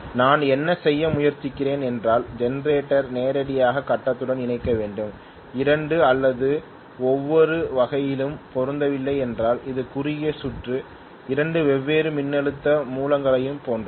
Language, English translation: Tamil, What I am trying to do is to connect the generator to the grid directly, if the 2 or not matching in every way it is like short circuiting 2 different voltage sources